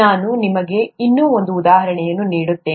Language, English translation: Kannada, Let me give you one more example